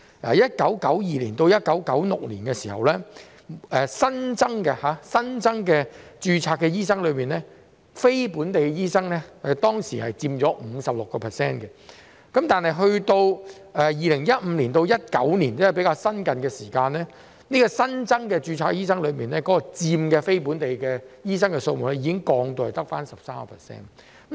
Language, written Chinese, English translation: Cantonese, 在1992年至1996年，持有非本地醫學資格的新增註冊醫生所佔比例為 56%， 但到了2015年至2019年，即較近期，持有非本地醫學資格的新增註冊醫生所佔比例已降至只有 13%。, Between 1992 and 1996 the share of newly registered doctors with non - local medical qualifications was 56 % but between 2015 and 2019 ie . more recently the share of newly registered doctors with non - local medical qualifications dropped to only 13 %